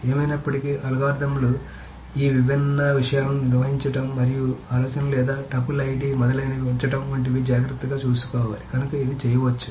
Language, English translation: Telugu, So that's anyway the algorithms need to take care of this handling different things and keeping the idea of the tuple ID etc